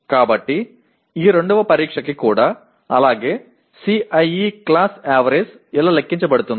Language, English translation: Telugu, So for this test 2 as well and then CIE class average is computed like this